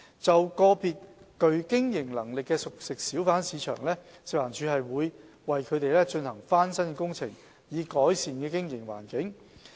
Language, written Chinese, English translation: Cantonese, 就個別具經營能力的熟食小販市場，食環署會為其進行翻新工程，以改善經營環境。, For individual CFHBs with business viability FEHD will arrange refurbishment works to improve their operating environment